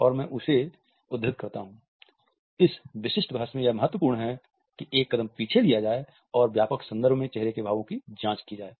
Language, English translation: Hindi, And I quote, “it is important at this stage to a step back from this specific debate and examine facial expressions in a broader context”